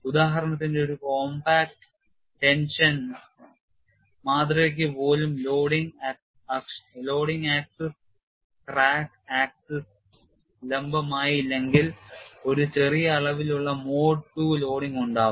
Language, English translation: Malayalam, For example, even for a compact tension specimen, if the loading axis is not exactly perpendicular to the crack axis, there are small amount of mode two loading will be present